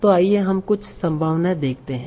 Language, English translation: Hindi, So let us see some numbers